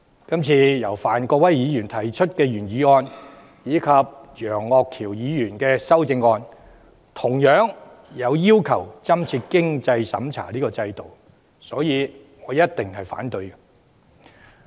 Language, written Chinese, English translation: Cantonese, 今次由范國威議員提出的原議案及楊岳橋議員的修正案，同樣要求增設經濟審查制度，所以我一定會反對。, This time both the original motion raised by Mr Gary FAN and the amendment raised by Mr Alvin YEUNG similarly demand for the introduction of a means test regime . Hence I will certainly oppose them